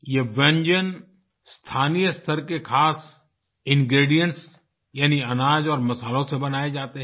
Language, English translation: Hindi, These dishes are made with special local ingredients comprising grains and spices